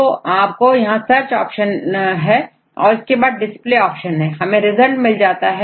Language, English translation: Hindi, So, you have a search options and we have the display options and we have to get the results